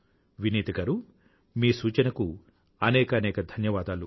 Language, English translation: Telugu, Thank you very much for your suggestion Vineeta ji